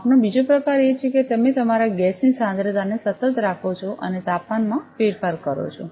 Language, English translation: Gujarati, The second type of measurement is that you keep your gas concentration constant and vary the temperature